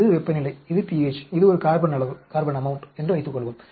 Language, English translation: Tamil, Suppose, this is temperature, this is pH, this is a carbon amount